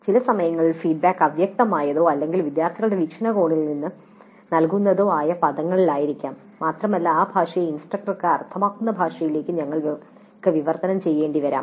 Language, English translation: Malayalam, And certain times the feedback may be in terms which are vague or in terms which are given from the perspective of the students and we may have to translate that language into a language that makes sense to the instructor